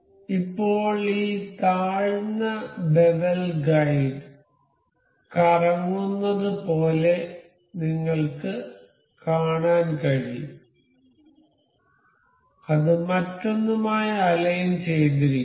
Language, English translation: Malayalam, Now, you can see as it this lower bevel guide is rotating, it is aligned with other one